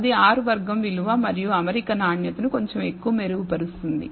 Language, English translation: Telugu, That will improve the R squared value and the fit quality of the fit little more